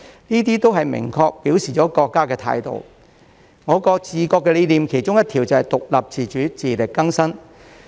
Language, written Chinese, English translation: Cantonese, 這些都明確表明了國家的態度，我國的治國理念其中一條是獨立自主，自力更生。, All of these clearly indicate the attitude of our country and one concept under the philosophy of governance of our country is independence and self - reliance